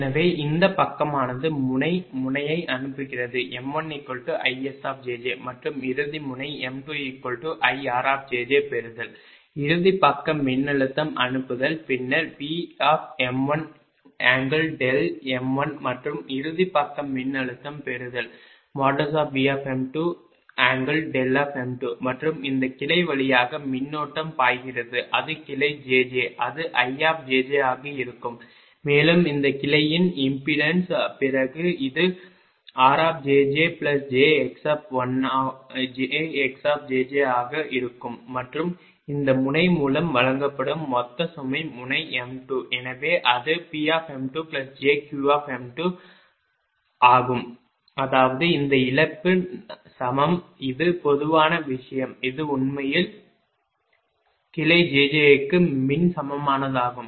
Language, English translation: Tamil, so this side is sending end node is ipm one is equal to isjj and receiving end node m two is equal to irjj, right sending end side voltage will be then a vm one, vm one, angle delta m one, and receiving end side voltage will be vm two, right angle delta m two, and current flowing through this branch it is branch jj, it will be ijj and impendence of this branch then it will be rjj plus j, xjj and total load fed through this node is node m two